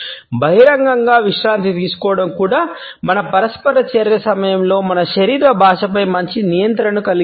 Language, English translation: Telugu, Relaxation in public would also enable us to have a better control on our body language during our interaction